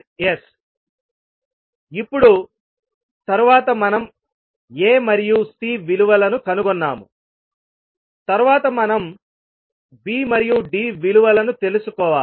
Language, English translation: Telugu, Now, next we have found the value of A and C, next we need to find out the value of B and D